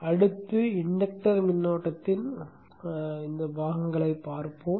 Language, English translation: Tamil, Next, let us see the component of the inductor current